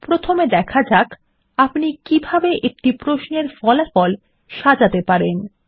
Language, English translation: Bengali, First let us see how we can sort the results of a query